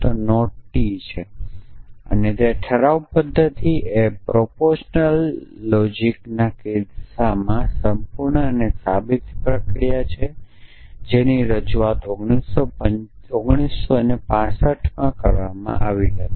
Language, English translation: Gujarati, So, that is so the resolution method is a sound and complete proof procedure for the case of proportional logic is it to introduced in 1965